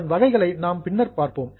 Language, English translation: Tamil, Anyways, types we will see later on